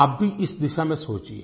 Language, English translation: Hindi, You too should think along these lines